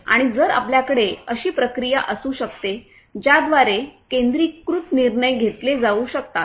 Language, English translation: Marathi, And if we can have a process by which centralized decisions can be made